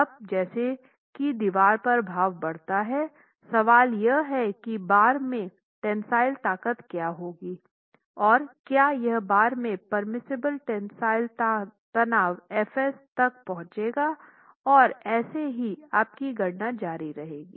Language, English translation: Hindi, And as the moment on the wall increases, question is what is the tensile stress in the bar and whether the tensile stress in the bar is reaching your permissible tensile stress in steel f s